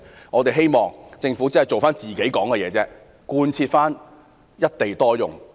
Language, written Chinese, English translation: Cantonese, 我們期望政府能真正兌現承諾，貫徹一地多用的政策。, We expect the Government to truly honour its promises and implement the single site multiple use policy